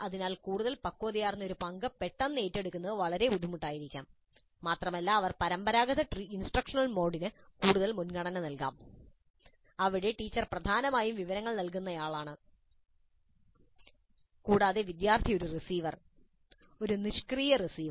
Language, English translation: Malayalam, So it may be very difficult to suddenly assume such a more mature role and they may prefer a traditional instructional mode where the teacher is essentially a provider of information and the student is essentially a receiver, a passive receiver